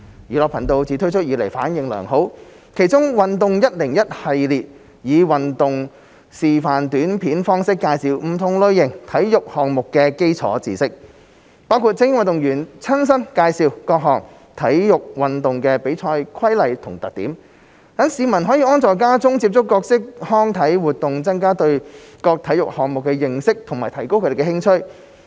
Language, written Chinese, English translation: Cantonese, "寓樂頻道"自推出以來反應良好，其中"運動教室 101" 系列以運動示範短片方式介紹不同類型體育項目的基礎知識，包括由精英運動員親身介紹各種體育運動的比賽規例和特點，讓市民可安坐家中接觸各式康體活動，增加對各體育項目的認識和提高興趣。, The Edutainment Channel has highly favourable responses since its launch and the Learning Sports 101 series introduces basic knowledge of different types of sports in the form of videos on online sports demonstrations . The contents include the introduction of the regulations and characteristics of various sports competitions by elite athletes so the public can sit at home and get in touch with various recreational and sports activities thereby increasing their knowledge and interest in various sports